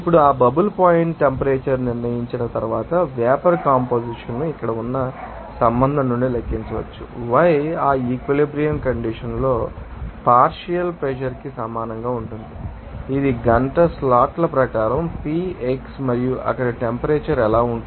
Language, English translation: Telugu, Now, once that bubble point temperature is determined the vapor composition can be calculated from the you know relationship here, yi will equal to you know that this is you know this is called partial pressure at that equilibrium condition that is Pivxi as per hour slots and what will be the temperature there